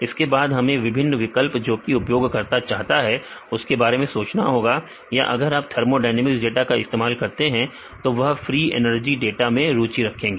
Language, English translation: Hindi, Then it is we need to think about what are the various options the users like to have or if you use the thermodynamic data they are interested in the free energy data